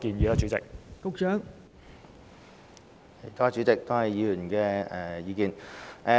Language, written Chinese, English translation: Cantonese, 代理主席，多謝議員的意見。, Deputy President I thank the Member for his views